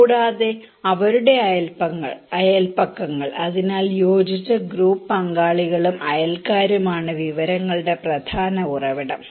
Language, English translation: Malayalam, And also their neighbourhoods, so cohesive group partners and neighbours are the main source of informations